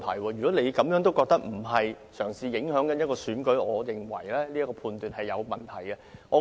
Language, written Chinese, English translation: Cantonese, 如果你認為她並非試圖影響選舉，我認為你的判斷也有商榷餘地。, If you do not consider this to be her attempt to influence the election I will also call your judgment into question